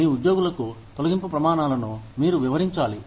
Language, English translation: Telugu, You need to explain, the criteria for layoffs, to your employees